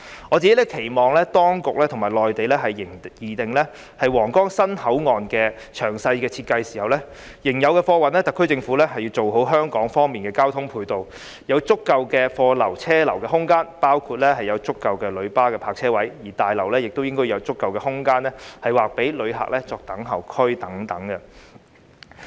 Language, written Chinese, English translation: Cantonese, 我個人期望當局與內地擬定皇崗新口岸詳細設計時，就仍有的貨運，特區政府應要完善香港方面的交通配套，要有足夠的貨流車流空間，包括有足夠的旅巴泊車位，而大樓亦應有足夠的空間劃予旅客作等候區等。, I personally expect that when the authorities are mapping out the detailed design of the new Huanggang Port with the Mainland authorities in regard to the existing freight operations the HKSAR Government can improve the transport supporting facilities on the Hong Kong side with the provision of sufficient space for cargo transportation and traffic flow including adequate parking spaces for tourist coaches . Besides in the new building sufficient space should be set aside as waiting areas for passengers